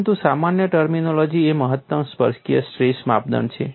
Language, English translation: Gujarati, But a generic terminology is maximum tangential stress criterion